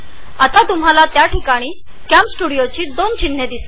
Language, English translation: Marathi, Right now, you will see 2 CamStudio icons on the system tray